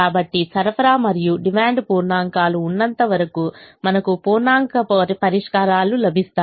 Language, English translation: Telugu, in our example, the supply quantities and the demand quantities were integers and therefore we got integer solutions